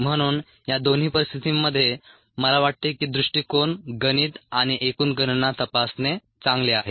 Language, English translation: Marathi, so under both these situations, i think it's good to check the approach the ah math and the over all calculations